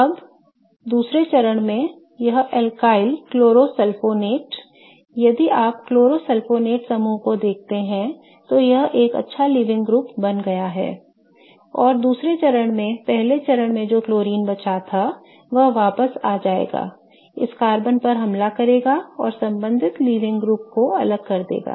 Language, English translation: Hindi, Now, in the second step, this alkali chlorosulfonate, if you see the chlorosulfonate group it has become a good leaving group and in the second step the chlorine that left in the first step will come back attack this carbon and kick off the corresponding leaving group